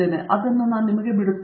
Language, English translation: Kannada, I will leave it to you